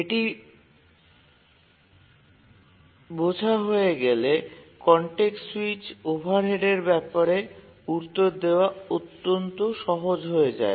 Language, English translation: Bengali, And once we understand that then the answer about how to take context switch overheads becomes extremely simple